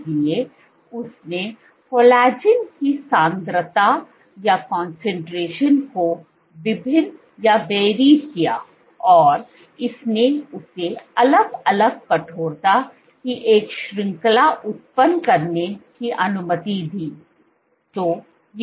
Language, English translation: Hindi, So, she varied the concentration of collagen and this allowed her to generate a range of different stiffness’s